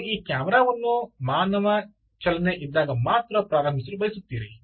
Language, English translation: Kannada, you want to start this camera only when there is a human movement across it